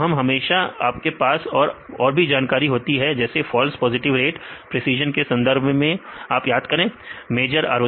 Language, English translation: Hindi, So, always you have the other information regarding the false positive rate precision recall f measure ROC